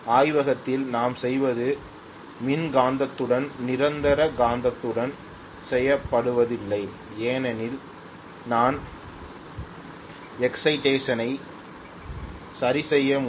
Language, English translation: Tamil, What we do in the laboratory is with an electromagnetic is not done with the permanent magnet because I want to be able to adjust the excitation